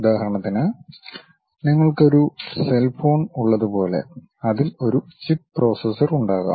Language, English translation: Malayalam, For example, like you have a cell phone; there might be a chip processor